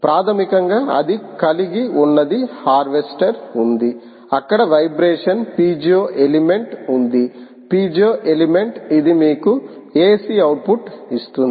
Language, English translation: Telugu, basically, what it has is: there is a harvester, there is a vibration piezo element, piezo element which essentially gives you a c output